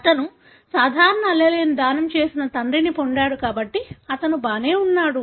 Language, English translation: Telugu, Since he has got father who has donated the normal allele, he is alright